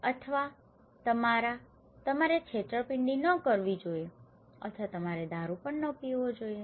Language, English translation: Gujarati, Or your; you should not do cheating or you should not drink alcohol okay